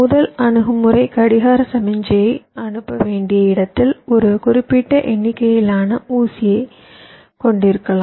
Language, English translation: Tamil, maybe, like i have a certain number of pins where i have to send the clock signal